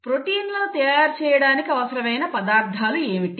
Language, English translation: Telugu, What are the ingredients which are required to make the proteins and 2